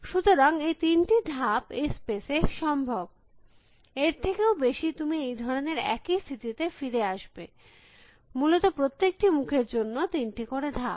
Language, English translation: Bengali, So, these three moves are possible on this space, more than that you will come back to the same stage likewise, three moves for every faces essentially